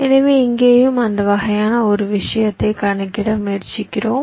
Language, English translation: Tamil, ok, so here also we are trying to calculate that kind of a thing